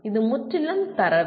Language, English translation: Tamil, It is purely data